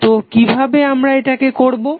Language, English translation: Bengali, So how we will do it